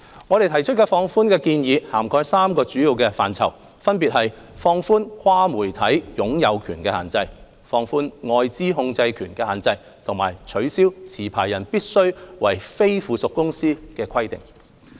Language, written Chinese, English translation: Cantonese, 我們提出的放寬建議，涵蓋3個主要範疇，分別是放寬"跨媒體擁有權的限制"、放寬"外資控制權的限制"及取消"持牌人必須為非附屬公司的規定"。, Our proposed relaxations cover three main areas including relaxing cross - media ownership restrictions relaxing foreign control restrictions and removing the requirement of a licensee being a non - subsidiary company